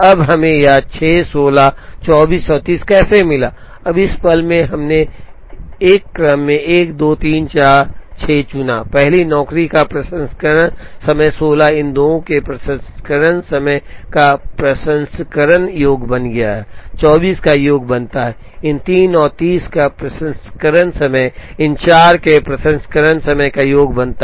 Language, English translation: Hindi, Now how did we get this 6 16 24 and 30, now the moment, we chose an order 1 2 3 4, 6 is the processing time of the first job 16 became processing sum of the processing times of these two, 24 becomes sum of the processing time of these three and 30 becomes sum of the processing times of these four